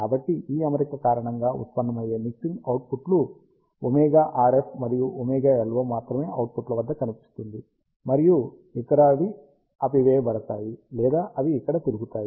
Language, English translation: Telugu, So, with this arrangement, only the mixing products arising because of omega RF and omega LO will appear at the output, and others will be terminated or they circulate around here